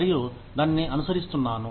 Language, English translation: Telugu, And, I have been following it